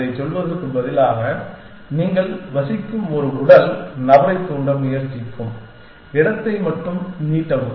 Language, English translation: Tamil, Instead of saying that, only extend that where you verse trying to stimulate a physical person moving around